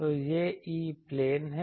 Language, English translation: Hindi, So, this is E plane